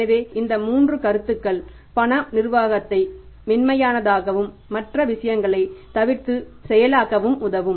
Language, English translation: Tamil, So, these three things, these three points can help us to say smooth in the cash management process apart from the other things